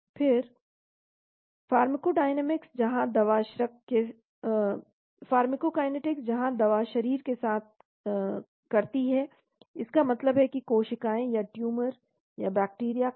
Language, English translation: Hindi, Then pharmacodynamics where the drug does to the body, that means cells or tumor or bacteria, fungal